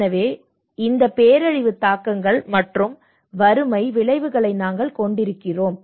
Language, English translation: Tamil, So that is how we have this disaster impacts and poverty outcomes